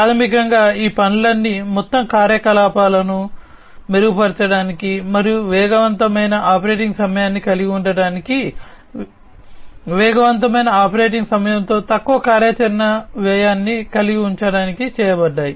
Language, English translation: Telugu, So, basically all these things have been done in order to improve upon the overall operations and to have faster operating time, lower operational cost with faster operating time